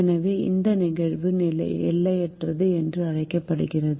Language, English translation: Tamil, so this phenomenon is called unboundedness